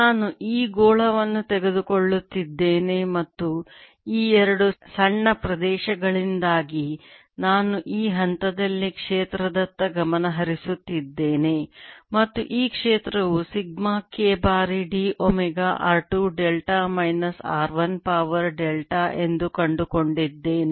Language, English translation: Kannada, let me recap: i'm taking this sphere and i'm focusing on field at this point, because this two small areas, and i found that this field e is sigma k times d, omega, r two to raise to delta, minus r one raise to delta